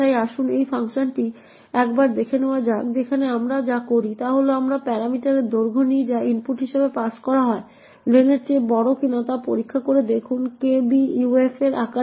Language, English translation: Bengali, So, let us look at a small vulnerability with sign interpretation that involve comparisons and then copying, so let us take a look at this function where what we do is we take the parameter length which is passed as input, check whether len is greater than size of kbuf